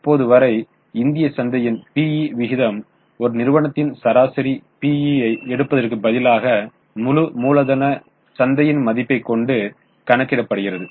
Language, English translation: Tamil, E ratio as of of now, PE ratio of Indian market, now instead of taking one company, average P is calculated for the whole capital market